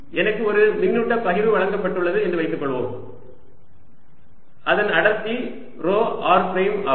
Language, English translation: Tamil, suppose i am given a charge distribution so that the density is rho r prime